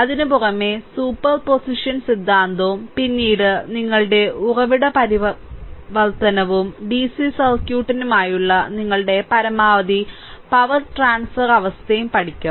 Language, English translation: Malayalam, Apart from that will learn super position theorem then your source transformation and the maximum power transfer condition right for the your for the dc circuit first